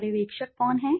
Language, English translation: Hindi, Who is the supervisor